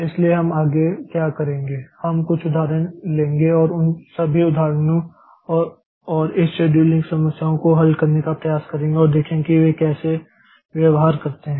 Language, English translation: Hindi, So, what we'll do next is that we'll take up some example and try to solve those examples and of this scheduling problems and see how do they behave